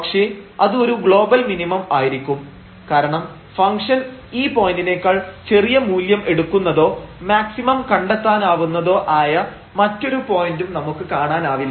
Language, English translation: Malayalam, 00 that is local minimum, but that will be also a global minimum because we do not see any other point where the function will take a smaller value than this point and to find the maximum for example